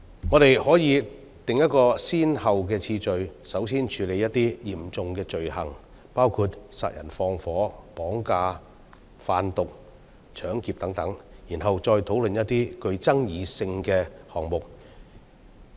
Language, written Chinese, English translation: Cantonese, 我們可以訂立先後次序，先處理一些嚴重罪行，包括殺人放火、綁架、販毒、搶劫等，然後再討論一些具爭議性的項目。, We may set priorities to tackle some serious crimes first such as murder arson kidnapping drug trafficking robbery etc before proceeding to discuss some controversial offences